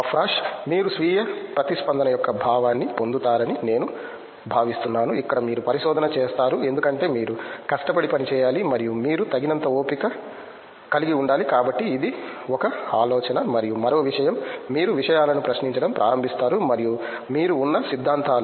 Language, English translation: Telugu, I think you get a sense of self responsiblity that is the first thing, where you take research because you have to work hard and you have to be patient enough, so that is one think and one more thing is you start questioning things and theories which you have been